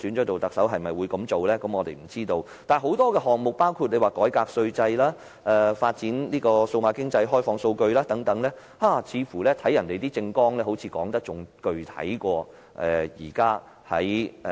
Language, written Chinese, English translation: Cantonese, 但是，他們的政綱的確談及很多措施，包括改革稅制、發展數碼經濟、開放數據等，似乎較今年的施政報告說得更具體。, Nevertheless they do talk about many measures in their election platforms including taxation reform development of a digital economy open data sharing etc . Their elaborations are even more specific than those in the Policy Address this year